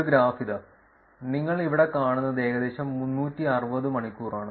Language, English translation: Malayalam, Here is a graph, which you see here this is about 360 hours